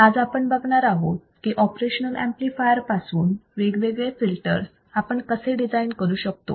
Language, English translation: Marathi, Today, let us see how we can design different kind of filters using the operational amplifier